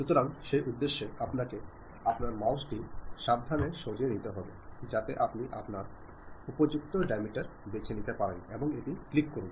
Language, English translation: Bengali, So, for that purpose, you have to carefully move your mouse, so that suitable diameter you can pick and click that